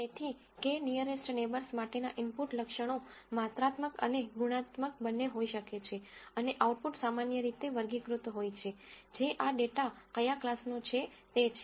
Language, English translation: Gujarati, So, the input features for k nearest neighbors could be both quantitative and qualitative, and output are typically categorical values which are what type of class does this data belong to